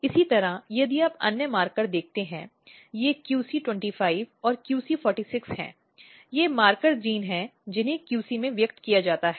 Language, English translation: Hindi, Similarly, if you look other marker these are the QC 25 and QC 46, they are the marker genes which are known to express in the QC